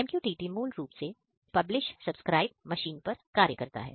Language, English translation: Hindi, So, MQTT basically acts on publish subscribe mechanism